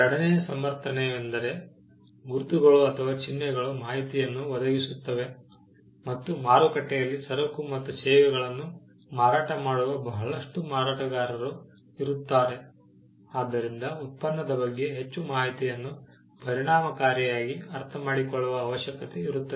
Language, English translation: Kannada, The second justification was that, marks provided information and in a market where, there are multiple players selling goods and services, there is a need for us to understand information about the product more efficiently